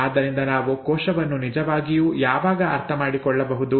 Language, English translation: Kannada, So when can we understand the cell really